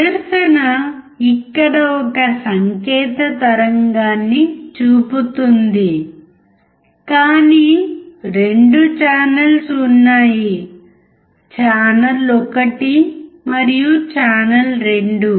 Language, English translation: Telugu, The display is showing a sign wave right here, but there are 2 channels: channel 1 and channel 2